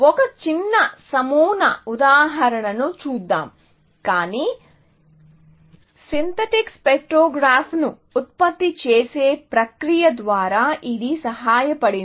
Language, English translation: Telugu, We will see a small sample example, but this was aided by a process of generating a synthetic spectrogram